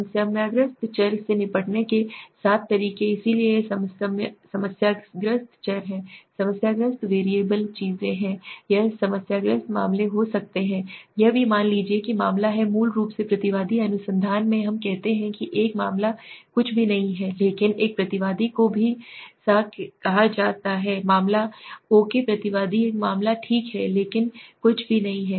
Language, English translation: Hindi, The 7 ways to deal with the problematic variables so these are problematic variables so is there are problematic variables things it could be cases problematic cases also suppose the case is a respondent basically in research we say a case is nothing but one respondent is also termed s a case oaky respondent is nothing but a case okay